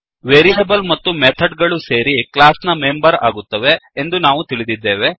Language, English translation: Kannada, We know that variables and methods together form the members of a class